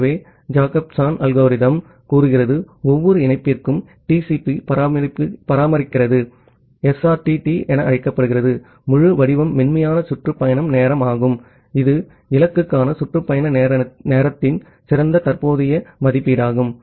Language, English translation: Tamil, So, the Jacobson algorithm says that for each connection, TCP maintains are variable called SRTT the full form is Smoothed Round Trip Time which is the best current estimate of the round trip time to the destination